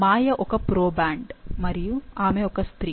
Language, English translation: Telugu, So, Maya is a proband and she' is female